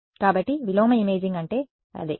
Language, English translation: Telugu, So, that is what inverse imaging is